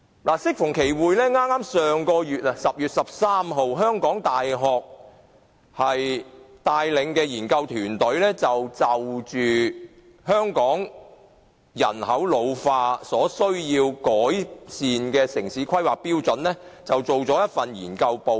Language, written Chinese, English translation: Cantonese, 香港大學研究團隊在10月13日發表有關因應香港人口老化而需要改善的城市規劃標準的研究報告。, A research team of the University of Hong Kong published on 13 October a report on town planning standards to be improved in response to an ageing population in Hong Kong